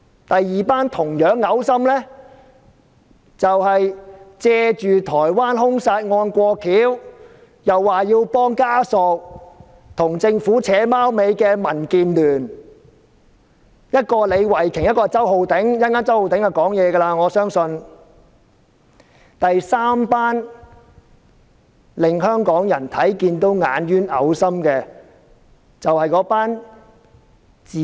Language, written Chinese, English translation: Cantonese, 第二夥同樣噁心的，是借助台灣兇殺案，說要幫助遇害人家屬，跟政府"打龍通"的民建聯議員，一個是李慧琼議員，另一個是周浩鼎議員，我相信周浩鼎議員稍後會發言。, The second group with the same level of repulsiveness is the Members from DAB including Ms Starry LEE and Mr Holden CHOW who collude with the Government and piggyback on the Taiwan homicide by making the excuse of helping the family of the victim in the homicide